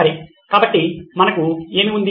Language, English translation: Telugu, Okay, so what have we